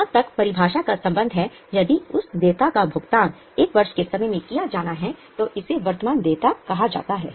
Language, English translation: Hindi, As far as the definition is concerned, if that liability is intended to be paid in one year's time, then it is called as a current liability